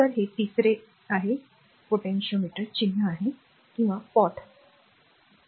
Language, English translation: Marathi, So, this is third one is symbol for potentiometer or pot for short, right